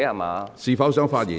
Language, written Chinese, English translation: Cantonese, 你是否想發言？, Do you want to speak?